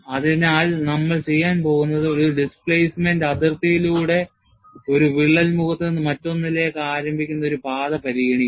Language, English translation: Malayalam, So, what we are going to take is, consider a path which starts from one crack face to the other crack face, through the boundary of the specimen